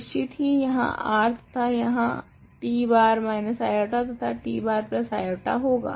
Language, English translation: Hindi, Of course, there is R and there is t bar minus i and t bar plus i